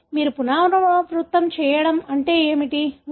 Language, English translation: Telugu, What do you mean by repeat